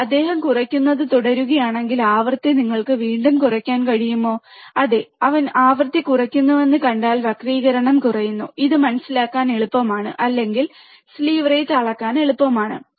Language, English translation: Malayalam, But if he goes on decreasing the frequency can you decrease it again, yeah, if you see that he is decreasing the frequency, the distortion becomes less, and it is easy to understand or easy to measure the slew rate